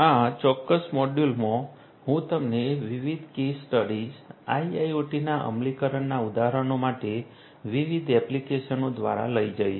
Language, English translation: Gujarati, In this particular module I am going to take you through different case studies different applications for examples of implementation of IIoT